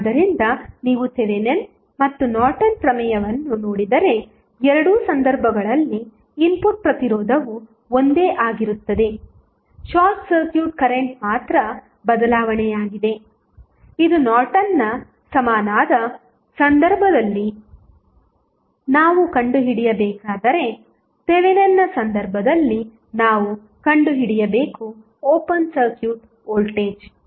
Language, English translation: Kannada, So, if you see Thevenin's and Norton's theorem, the input resistance is same in both of the cases the only change is the short circuit current which we need to find out in case of Norton's equivalent while in case of Thevenin's we need to find out the open circuit voltage